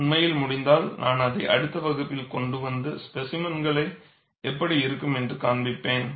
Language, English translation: Tamil, In fact, if possible I will bring it in the next class and show you how the specimens look like